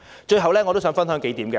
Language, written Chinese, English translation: Cantonese, 最後，我想跟大家分享數點。, Finally I want to share several points with colleagues